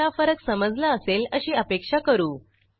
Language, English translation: Marathi, I hope the difference is clear to you now